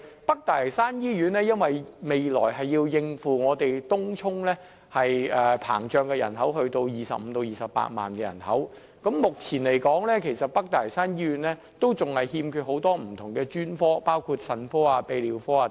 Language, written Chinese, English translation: Cantonese, 北大嶼山醫院未來須應付東涌不斷膨脹達25萬至28萬的人口，但北大嶼山醫院目前仍然欠缺很多不同的專科，包括腎科和泌尿科等。, Although the North Lantau Hospital is required to cope with the growing population in Tung Chung which is expected to reach 250 000 to 280 000 many specialties including the renal and urology units are still missing